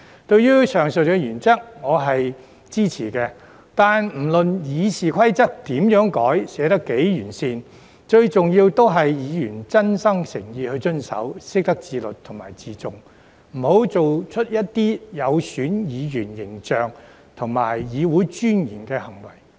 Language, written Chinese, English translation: Cantonese, 對於上述原則，我是支持的，但不論《議事規則》如何改、寫得多麼完善，最重要的是議員真心誠意地遵守，懂得自律和自重，不要作出有損議員形象和議會尊嚴的行為。, I support the aforesaid principles . However no matter how the Rules of Procedure are amended or how well they are written the most important thing is that Members should sincerely abide by them and know how to exercise self - discipline and self - respect . They should never act in a way that will tarnish the image of Members and dignity of the Council